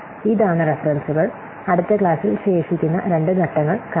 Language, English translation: Malayalam, These are the references and in the next class we will see the remaining two steps